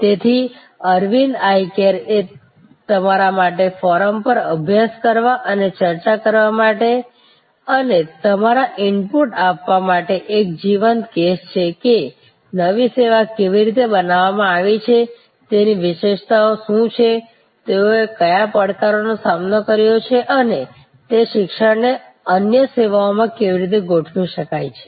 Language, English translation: Gujarati, So, Aravind Eye Care is a live case for you to study and discuss on the forum and give your inputs that how the new service has been created, what are the features, what are the challenges they have met and how those learning’s can be deployed in other services